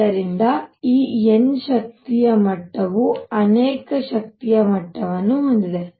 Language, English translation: Kannada, So, this n th energy level has many energy levels